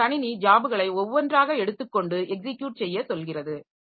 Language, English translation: Tamil, So, the computer takes up the jobs one by one and go for execution